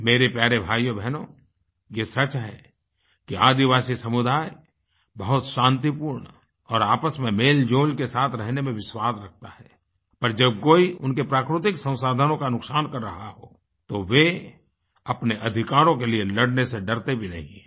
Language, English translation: Hindi, My dear brothers and sisters, this is a fact that the tribal community believes in very peaceful and harmonious coexistence but, if somebody tries to harm and cause damage to their natural resources, they do not shy away from fighting for their rights